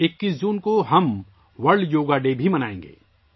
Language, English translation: Urdu, We will also celebrate 'World Yoga Day' on 21st June